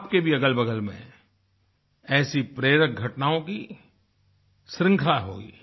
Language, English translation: Hindi, Your surroundings too must be full of such inspiring happenings